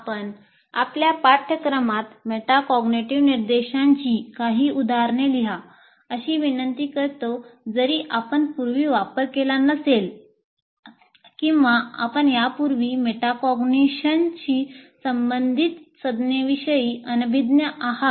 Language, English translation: Marathi, Now, what we request you is write a few instances of metacognitive instruction in your course even though you did not use or you are unaware of the terminology associated with metacognition earlier